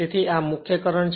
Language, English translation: Gujarati, So, this is main current